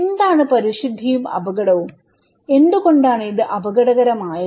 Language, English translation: Malayalam, What is purity and danger okay, why it is so danger